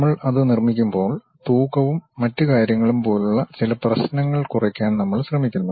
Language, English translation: Malayalam, And when we are constructing that, we try to minimize certain issues like weights and other thing